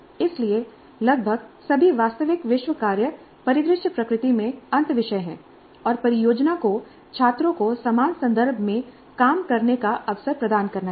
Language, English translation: Hindi, So almost all real world work scenarios are interdisciplinary in nature and the project must provide the opportunity for students to work in a similar context